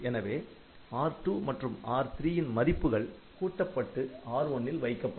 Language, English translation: Tamil, So, R2 and R3 are added and this is coming to R1